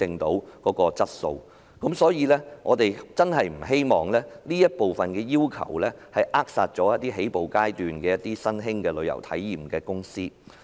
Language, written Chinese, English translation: Cantonese, 因此，我們真的不希望有關要求扼殺一些處於起步階段的旅遊體驗公司。, We really do not want to see start - up travel experience companies be throttled by the relevant requirement